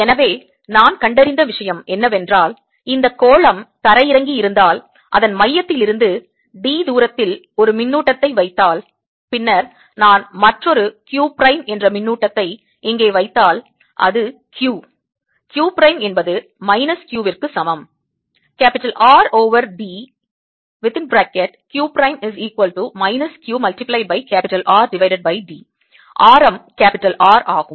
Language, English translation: Tamil, so what i have found is that if i have this sphere which is grounded, and i put a charge at a distance d from its centre, then if i put another charge here, q prime, this is q, q prime equals minus q r over d